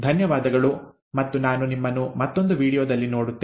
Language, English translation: Kannada, Thank you and I will see you later in another video